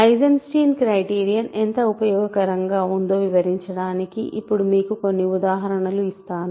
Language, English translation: Telugu, So, now let me quickly give you some examples of Eisenstein criterion to illustrate how useful it is